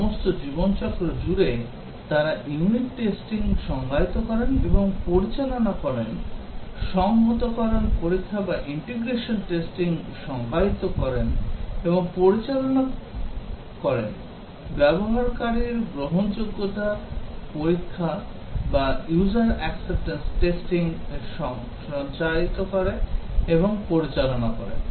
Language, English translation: Bengali, All over the life cycle they define and conduct unit testing, define and conduct integration testing, define and conduct usability testing, define and conduct user acceptance testing